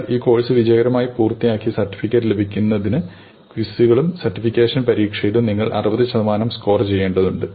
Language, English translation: Malayalam, In order to get a certificate that you have successfully completed this course, you need to score 60 percent in the quizzes and in the certification exam